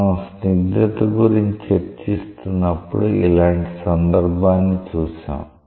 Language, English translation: Telugu, We have seen such a case when we are discussing about viscosity